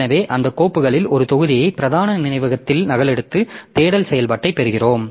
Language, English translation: Tamil, So, we are just copying one of those files onto main memory, one of those blocks into main memory and getting the, doing the search operation